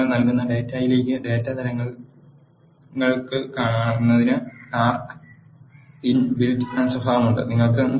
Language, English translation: Malayalam, R has inbuilt characteristic to assign the data types to the data you enter